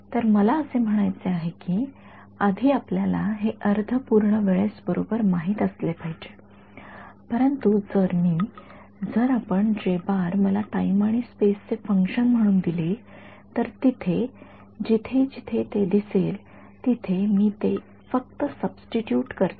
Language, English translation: Marathi, So, I mean, first of all we should know it at half integer time instance right, but if I am, if you are given, if you give me J as a function of space and time then wherever it appears I just substitute it right